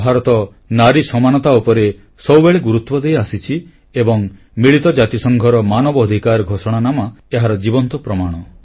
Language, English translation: Odia, India has always stressed on the importance of equality for women and the UN Declaration of Human Rights is a living example of this